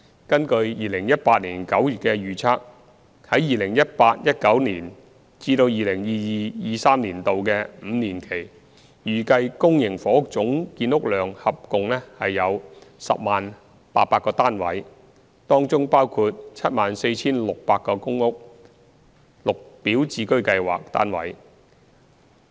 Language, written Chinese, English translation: Cantonese, 根據2018年9月的預測，在 2018-2019 年度至 2022-2023 年度的五年期，預計公營房屋總建屋量合共約為 100,800 個單位，當中包括約 74,600 個公屋/綠表置居計劃單位。, Based on the estimate as at September 2018 the total public housing production in the five - year period from 2018 - 2019 to 2022 - 2023 is about 100 800 units comprising some 74 600 units of PRHGreen Form Subsidised Home Ownership Scheme GHOS